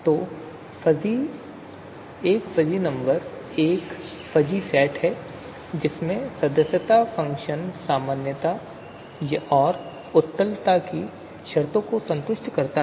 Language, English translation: Hindi, So a fuzzy number is a fuzzy set in which the membership function satisfies the conditions of normality and of convexity